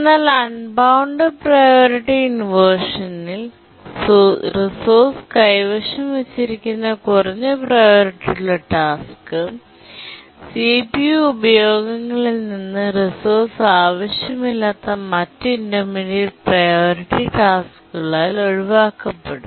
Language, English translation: Malayalam, But then what really is a difficult problem is unbounded priority inversion, where the low priority task which is holding the resource is preempted from CPU uses by other intermediate priority tasks which don't need the resource